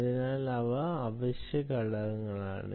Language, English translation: Malayalam, so these are essential elements